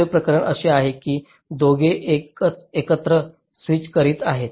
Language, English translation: Marathi, second case is that both are switching together